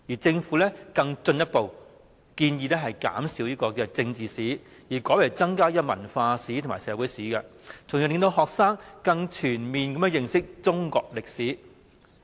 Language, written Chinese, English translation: Cantonese, 政府更進一步建議減少政治史，改為增加文化史和社會史，從而令學生可以更全面地認識中國歷史。, Moreover the Government further proposes to reduce the coverage of political history and increase the coverage of cultural history and social history so that students can have a comprehensive understanding of Chinese history